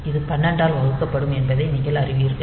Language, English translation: Tamil, 0592 so, you know that it will be divided by 12